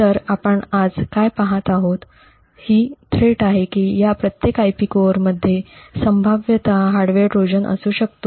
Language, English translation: Marathi, So, what we will be looking at today is the threat that each of these IP cores could potentially have a hardware Trojan present in them